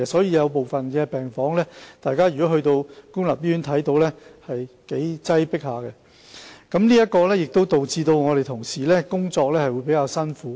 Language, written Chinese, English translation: Cantonese, 因此，如大家前往部分公立醫院的病房，便會發現是頗為擠迫的，這也令同事在工作時比較辛苦。, Hence the public may find certain wards rather crowded when they visit public hospitals and it will be relatively hard for our colleagues to work in such an environment